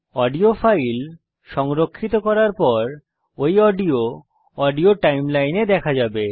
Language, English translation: Bengali, Once you have saved the audio file, you will find that the recorded audio appears in the Audio timeline